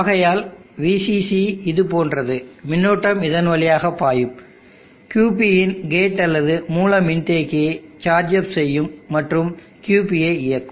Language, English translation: Tamil, Therefore from VCC is like this, in this part current flow charge up the gate or source capacitance of QP and turn on QP